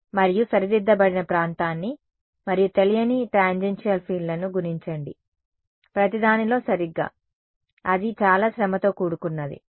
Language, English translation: Telugu, And do a multiply corrected region and unknown tangential fields on everything right yeah that can be done that is going to be very very tedious ok